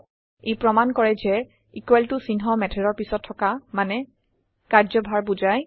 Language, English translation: Assamese, This demonstrates that the equal to sign next to a method means assignment